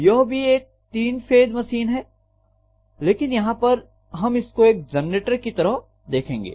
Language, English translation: Hindi, This is also a three phase machine but we will be concentrating on this as a generator